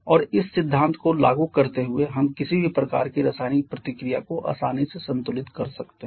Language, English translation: Hindi, And applying this principle we have we can easily balance any kind of chemical reaction